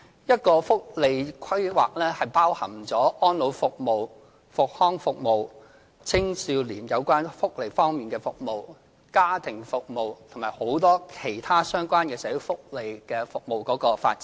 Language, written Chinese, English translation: Cantonese, 社會福利規劃包含安老服務、復康服務、青少年有關福利方面的服務、家庭服務，以及很多其他相關的社會福利服務的發展。, Social welfare planning covers the development of elderly care services rehabilitation services youth welfare services family services and many other related social welfare services